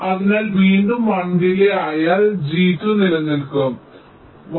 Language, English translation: Malayalam, so again, with a delay of one, g two will remain one